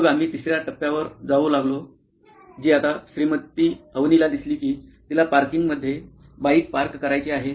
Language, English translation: Marathi, Then we go onto the third step which is now Mrs Avni looks like she has to park the bike in the parking spot